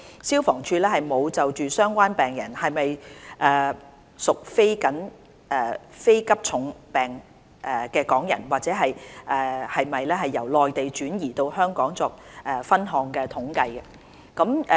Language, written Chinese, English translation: Cantonese, 消防處沒有就相關病人是否屬非急重病港人或是否由內地轉移到香港作分項統計。, FSD did not keep separate statistics on whether the patients concerned were non - critical Hong Kong patients or whether they were transferred from the Mainland to Hong Kong